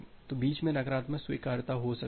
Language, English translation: Hindi, So, negative acknowledgement in between